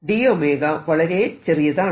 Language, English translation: Malayalam, d omega is very small